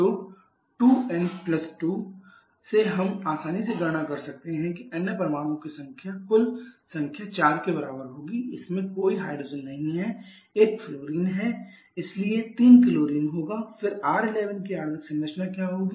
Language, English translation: Hindi, So, the from the 2n + 2 we can easily calculate total number of other atoms will be equal to 4 out of this there is no hydrogen there is one fluorine, so there will be 3 chlorine then what will be the molecular structure of R11